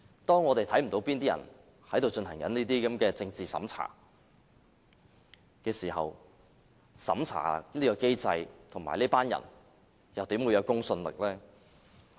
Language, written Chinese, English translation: Cantonese, 當我們看不到哪些人正在進行這些政治審查時，審查機制和這些人又怎會具公信力呢？, If we do not know whether anyone is doing political censorship how can we trust the assessment mechanism?